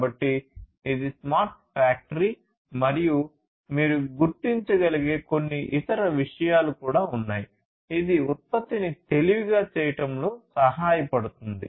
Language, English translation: Telugu, So, this is a smart factory and there are there could be few other things that you might be also able to identify, which can help in making the product smarter